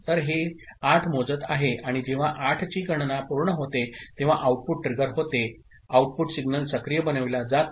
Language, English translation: Marathi, So, it is counting 8 and when the count of 8 is completed, an output is triggered an output signal is made active